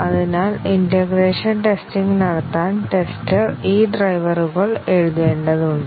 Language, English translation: Malayalam, So, for performing integration testing, the tester has to write these drivers